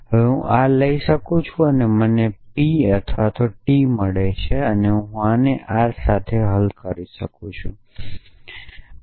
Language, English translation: Gujarati, So, I can take now this and this I get not P or T see I can resolve this with this or I can resolve this with this